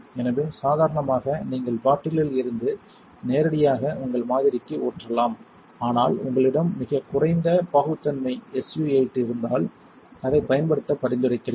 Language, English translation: Tamil, So, ordinarily you could pour from the bottle directly to your sample, but if you have a very low viscosity SU 8 I recommend using a drop it